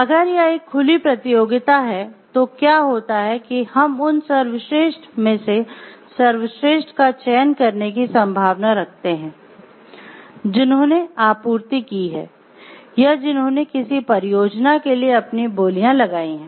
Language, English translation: Hindi, And if it is an open competition then what happens we can there is a possibility of selecting the best among the best who have supplied or who have liked given their bids for a project